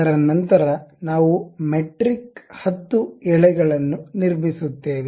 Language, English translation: Kannada, After that we will go construct a metric 10 thread